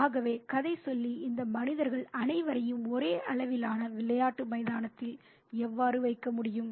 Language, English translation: Tamil, So, how can the narrator put all these beings on the same level playing ground